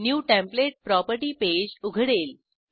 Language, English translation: Marathi, New template property page opens